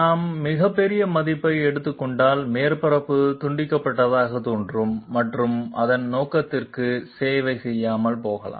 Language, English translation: Tamil, If we take a very large value, the surface will appear jagged and might not serve its purpose